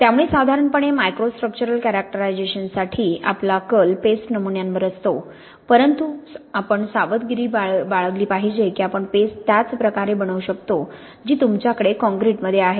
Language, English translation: Marathi, So generally for microstructural characterisation we tend to focus on paste samples but we have to be careful that we can make the paste in the same way that is going to be similar to what you have in a concrete